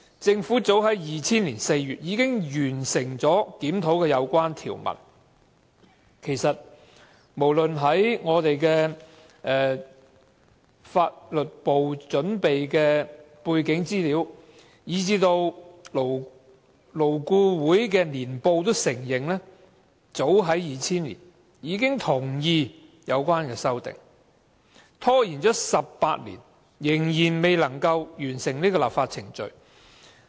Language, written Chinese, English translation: Cantonese, 政府早於2000年4月已經完成檢討有關條文，此事已載於立法會秘書處法律事務部準備的背景資料簡介，而勞工顧問委員會亦在年報中承認，早於2000年已同意有關的修訂，但政府拖了18年，仍未能完成有關的立法程序。, As stated in the background brief prepared by the Legal Service Division of Legislative Council Secretariat the Government completed the review of the relevant provisions in as early as April 2000 and the Labour Advisory Board LAB also admitted in its year book that it agreed to the relevant amendments in 2000 . After stalling for 18 years the Government has yet to complete the relevant legislative procedure